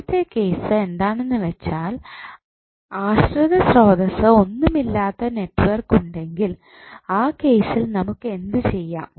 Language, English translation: Malayalam, First case is that when you have the network which contains no any dependent source so in that case what we have to do